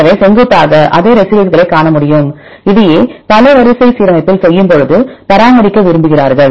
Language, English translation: Tamil, So, that they can see vertically the same residue this is what they want to maintain when do in the multiple sequence alignment